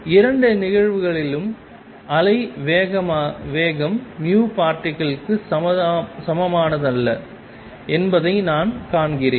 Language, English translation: Tamil, In both the cases I see that the wave speed is not the same as v particle